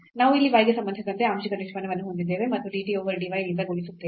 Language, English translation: Kannada, So, we will have here the partial derivative with respect to y and multiplied by dy over dt